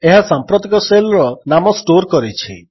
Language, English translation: Odia, It stores the name of the current shell